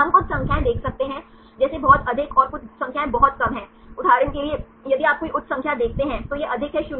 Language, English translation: Hindi, We can see some numbers, such very high and some numbers are very less, for example, if you see any high numbers this is high 0